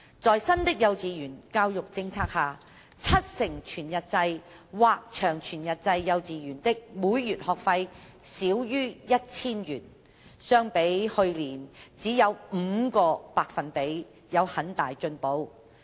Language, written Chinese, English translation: Cantonese, 在新的幼稚園教育政策下，七成全日制或長全日制幼稚園的每月學費少於 1,000 元，相比去年只有 5% 有很大進步。, Under the new KG education policy 70 % of KGs offering whole - day WDlong WD LWD programmes collected school fees below 1,000 per month which was a great improvement as compared to merely 5 % in the previous school year